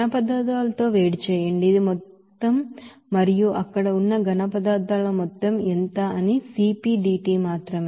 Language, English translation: Telugu, Heat with solids this is this amount and that is simply CPdT into what is that amount of that solids there